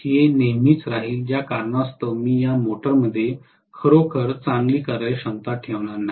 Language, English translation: Marathi, It will be always there because of which I am not going to have really a good efficiency in this motor